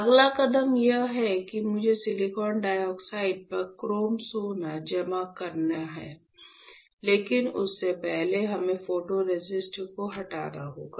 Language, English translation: Hindi, The next step is, the next step is that I have to deposit chrome gold on silicon dioxide; but before that, we have to remove the photoresist, or we have to strip up the photoresist